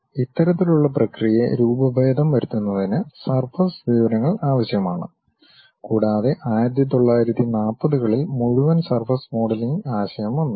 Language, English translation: Malayalam, So, deforming, riveting this kind of process requires surface information and entire surface modelling concept actually came in those days 1940's